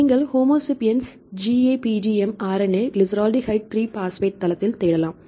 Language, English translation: Tamil, You can search to the Homo sapiens GAPDM RNA right glyceraldehyde 3 phosphate site